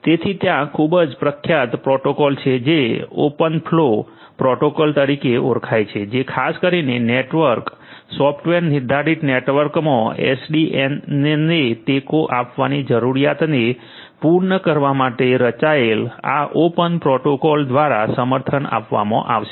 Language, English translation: Gujarati, So, there is a very popular protocol which is known as the open flow protocol which is specifically designed to cater to the requirements and the necessities of supporting SDN in a network software defined networks basically will be supported by this open protocol